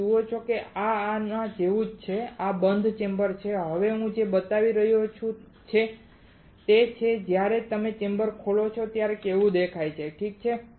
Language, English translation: Gujarati, You see this is similar to this one alright, this is the closed chamber now what I am showing is when you open the chamber how it looks like alright